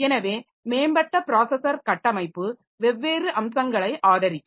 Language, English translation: Tamil, So, advanced processor architecture so they will support different features